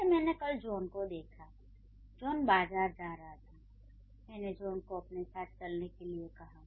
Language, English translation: Hindi, I can say, I saw John yesterday, he was going to the market and I called him to come with me